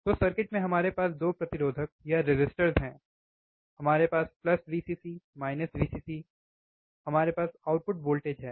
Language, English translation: Hindi, So, in the circuit was we have atwo resistors, we have a resistor, we have plus VVcccc, minus Vcc or minus Vee, w, right